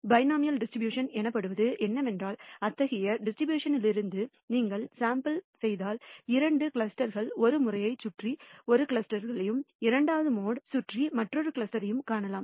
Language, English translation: Tamil, What is called a bimodal distribution in which case if you sample from such a distribution, you will nd two clusters one clusters around the one of the modes and another cluster around the second mode